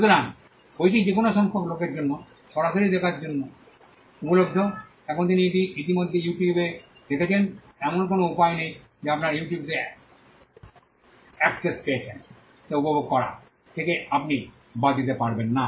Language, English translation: Bengali, So, the book is available for live viewing for any number of people, now the fact that he has already put it on you tube there is no way you can exclude a person who has got access to you tube from enjoying it